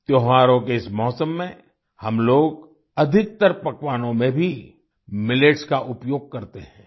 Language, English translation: Hindi, In this festive season, we also use Millets in most of the dishes